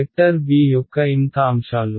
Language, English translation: Telugu, The mth elements of the vector b